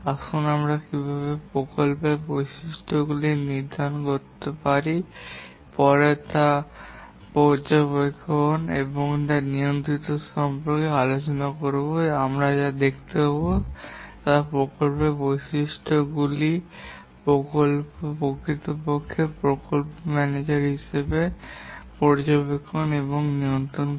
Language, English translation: Bengali, Let's look at how to determine these project characteristics and later when we discuss about project monitoring and control, we'll see that how these project attributes are actually used by the project manager for monitoring and control purposes